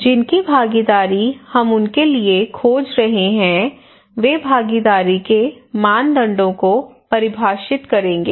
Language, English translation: Hindi, Those whose participations we are seeking for they will define the criteria of participations